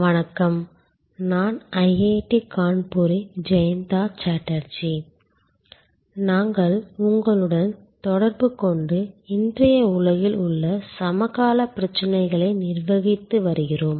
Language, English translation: Tamil, Hello, I am Jayanta Chatterjee of IIT Kanpur and we are interacting with you and Managing Services, contemporary issues in today's world